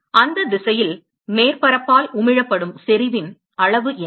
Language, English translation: Tamil, What is the amount of intensity that is emitted by the surface on that direction